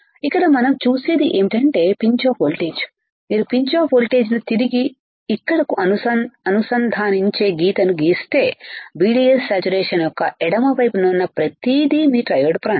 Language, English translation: Telugu, Here what we see here what we see is that if you see the pinch off voltage, if the and if you draw line which interconnects a pinch off voltage back to here, everything on the left side of the VDS saturation is your triode region is your triode region ok